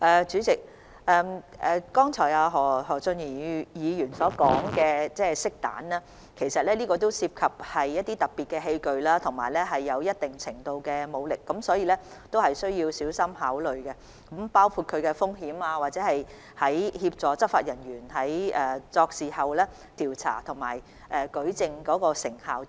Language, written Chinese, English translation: Cantonese, 主席，何俊賢議員剛才提到的漆彈，是一種特別器具，使用時涉及一定程度的武力，必須小心考慮相關風險，以及使用這器具協助執法人員調查和舉證的成效等。, President the paintball mentioned by Mr Steven HO just now is a special device which involves using a certain degree of force . We must carefully consider the risks involved and the effectiveness of using this device to assist law enforcement officers in conducting investigation and adducing evidence